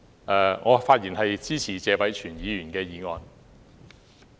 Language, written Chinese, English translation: Cantonese, 代理主席，我發言支持謝偉銓議員的原議案。, Deputy President I rise to speak in support of Mr Tony TSEs original motion